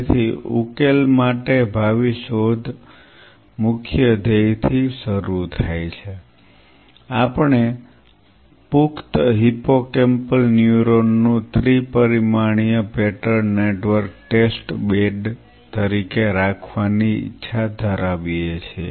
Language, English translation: Gujarati, So, the futuristic search for solution starts with the core goal is we wish to have a 3 dimensional pattern network of adult hippocampal neuron as a test bed